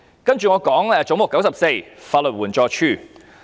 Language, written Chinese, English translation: Cantonese, 接着，我想談談"總目 94― 法律援助署"。, Now I would like to talk about Head 94―Legal Aid Department